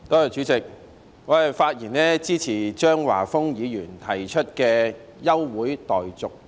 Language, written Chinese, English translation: Cantonese, 主席，我發言支持張華峰議員提出的休會待續議案。, President I speak in support of the motion for adjournment proposed by Mr Christopher CHEUNG